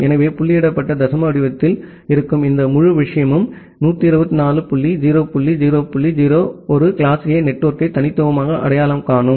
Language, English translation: Tamil, So, this entire thing which is in dotted decimal format 126 dot 0 dot 0 dot 0 that uniquely identify a class A network